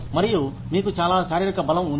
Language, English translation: Telugu, And, you have a lot of physical strength